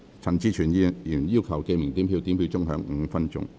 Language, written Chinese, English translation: Cantonese, 陳志全議員要求點名表決。, Mr CHAN Chi - chuen has claimed a division